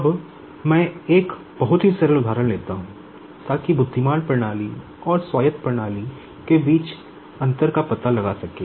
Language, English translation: Hindi, Now let me take a very simple example just to find out the difference between the intelligent system and autonomous system